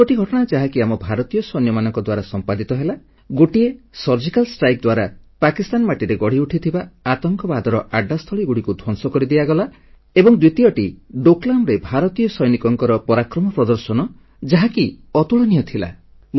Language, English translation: Odia, Two actions taken by our Indian soldiers deserve a special mention one was the Surgical Strike carried out in Pakistan which destroyed launching pads of terrorists and the second was the unique valour displayed by Indian soldiers in Doklam